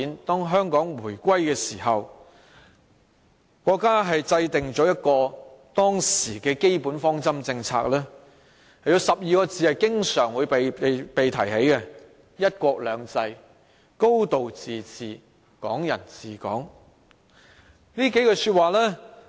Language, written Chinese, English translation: Cantonese, 當香港回歸時，國家制訂了當時的基本方針政策，有12個字經常被提起，即"一國兩制"、"高度自治"、"港人治港"。, When Hong Kong was returned to China the country formulated the basic policies . Expressions such as one country two systems a high degree of autonomy and Hong Kong people ruling Hong Kong have frequently been mentioned